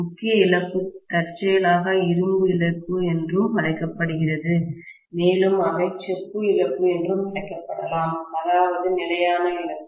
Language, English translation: Tamil, The core loss incidentally is also called as iron loss and they may also be called as copper loss I mean constant loss